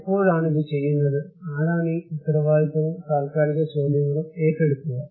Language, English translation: Malayalam, And when would it be done, who will takes this responsibility and temporal questions